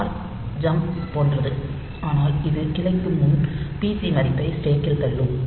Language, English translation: Tamil, call is similar to jump, but it will also push the pc value onto the stack before branching